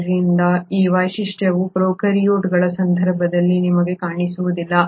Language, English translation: Kannada, So this feature you do not see in case of prokaryotes